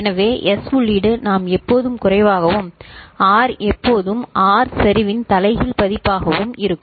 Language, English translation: Tamil, So, S input we always get low and R is always inverted version of R ok